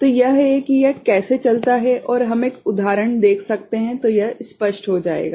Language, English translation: Hindi, So, this is how it goes on and we can see one example then it will be clearer